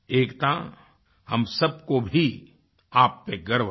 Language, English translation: Hindi, ' Ekta, we all are proud of you